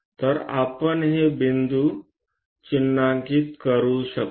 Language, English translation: Marathi, So, we can mark these points